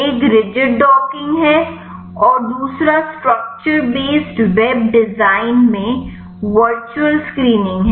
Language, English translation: Hindi, One is rigid docking and the another is virtual screening in structure based web design